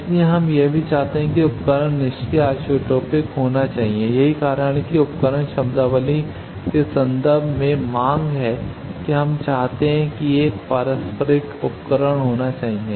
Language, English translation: Hindi, So, that is why we also want that the device should be passive isotropic and that is why the demand is in terms of the device terminology we want that it should be a reciprocal device